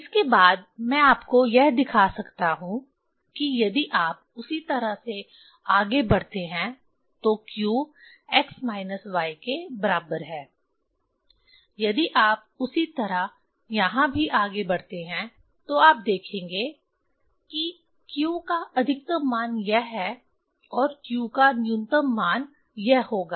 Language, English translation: Hindi, That is what in next I can show you that if you proceed same way q equal to x minus y, if you proceed same way here also, you will see that largest value of q is this, and smallest value of q will be this